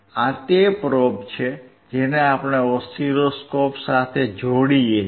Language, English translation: Gujarati, This is the probe that we connect to the oscilloscope